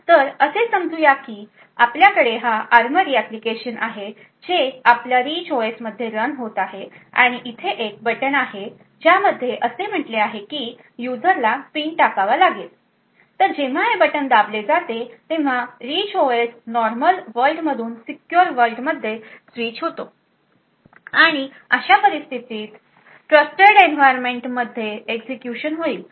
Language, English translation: Marathi, So let us say we have this ARMORY application running from our Rich OS and there is one button over here which says that the user has to enter a PIN so when this button is pressed there is a switch from the Rich OS that is in the normal world to the secure world and in such a case and there would be an execution in the Trusted Environment